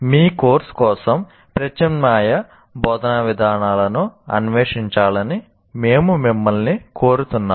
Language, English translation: Telugu, So we urge you to kind of explore alternative instructional approaches for your course